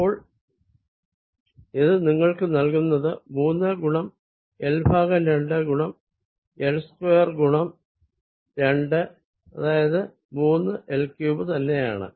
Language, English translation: Malayalam, so this gives you three times l by two, times l square times two, which is with the minus sign here, which is nothing but minus three l cubed